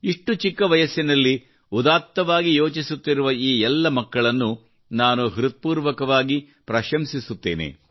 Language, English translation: Kannada, I heartily appreciate all these children who are thinking big at a tender age